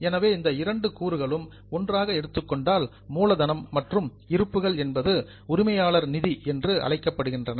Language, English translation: Tamil, So, these two items taken together, capital plus reserves, are known as owners fund